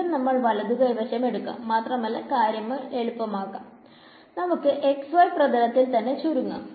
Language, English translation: Malayalam, So, again we will take the right hand side and to make matters simple, we will just restrict ourselves to patch in the x y plane